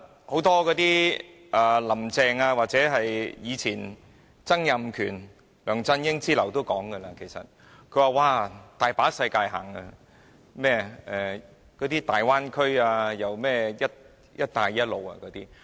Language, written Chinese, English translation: Cantonese, 許多"林鄭"、曾蔭權及梁振英之流均經常提及甚麼有很多機遇、大灣區、"一帶一路"等。, People like Carrie LAM Donald TSANG and LEUNG Chun - ying often talk about the abundance of opportunities the Bay Area and the Belt and Road Initiative etc